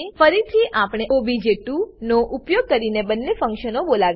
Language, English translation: Gujarati, Again, we call the two functions using the object obj2